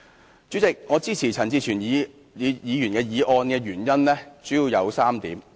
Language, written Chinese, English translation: Cantonese, 代理主席，我支持陳志全議員的議案的原因主要有3點。, Deputy President there are three main reasons for my support of Mr CHAN Chi - chuens motion